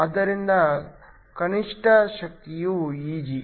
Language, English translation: Kannada, So, the minimum energy is Eg